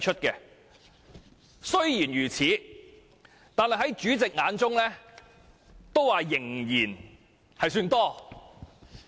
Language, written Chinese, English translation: Cantonese, 儘管如此，在主席眼中仍然算多。, Yet the Chairman still considers such numbers excessive